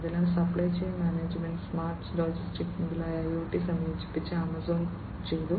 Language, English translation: Malayalam, So, supply chain management, smart logistics etcetera, have been have been done by Amazon through the incorporation of IoT